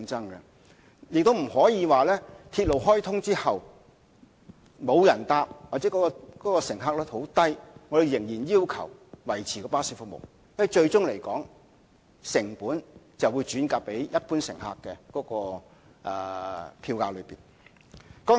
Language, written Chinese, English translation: Cantonese, 我們亦不可以在鐵路開通後，即使沒有人乘搭巴士或巴士的乘客量很低，而仍然要求巴士維持服務，因為成本最終會轉嫁到一般乘客的票價上。, We cannot ask the bus company to maintain its services all the same despite zero or very low patronage after the commissioning of new railways . The reason is that the costs will be transferred to the fares borne by general passengers in the end